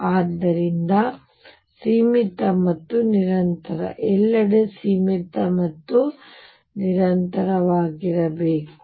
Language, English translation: Kannada, So, finite and continuous; should also a finite and continuous everywhere